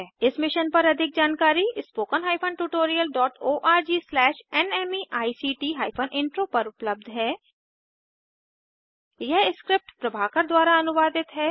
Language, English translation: Hindi, More information on this Mission is available at spoken HYPHEN tutorial DOT org SLASH NMEICT HYPHEN Intro This script has been contributed by TalentSprint